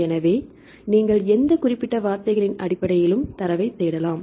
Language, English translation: Tamil, So, in this case you can search the data based on any specific keywords